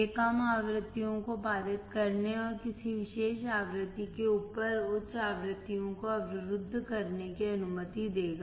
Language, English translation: Hindi, It will allow to pass the low frequencies and block the high frequencies above a particular frequency